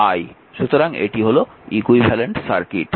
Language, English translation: Bengali, So, this is the equivalent circuit